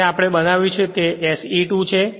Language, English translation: Gujarati, So, it is in this way will be SE 2